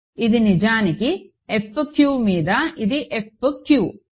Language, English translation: Telugu, So, it is actually F q over it is F q